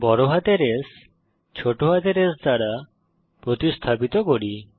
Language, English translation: Bengali, Let us replace the capital S with a small s